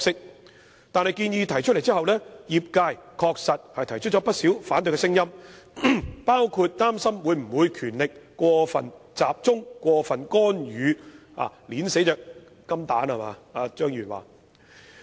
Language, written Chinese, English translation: Cantonese, 可是，當建議提出後，業界確實提出了不少反對聲音，包括擔心權力會否過分集中、會否產生過分干預，以及正如張議員所說般，會否將"金蛋"掐死。, But after the introduction of the proposals the industry has indeed put forth many dissenting views including the concern about the possibility of over - concentration of power excessive interference and killing the goose that lays golden eggs as asserted by Mr CHEUNG